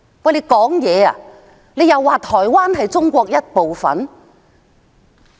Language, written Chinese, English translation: Cantonese, 不是說台灣是中國的一部分嗎？, Is Taiwan not said to be a part of China?